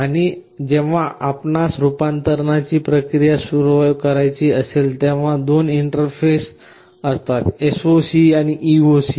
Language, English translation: Marathi, And whenever you want to start the process of conversion, there are typically two interfaces, SOC and EOC